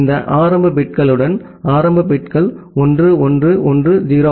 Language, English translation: Tamil, And with this initial bits that the initial bits as 1 1 1 0